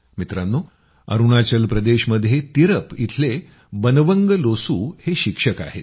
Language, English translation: Marathi, Friends, Banwang Losu ji of Tirap in Arunachal Pradesh is a teacher